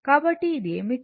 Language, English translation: Telugu, So, this is what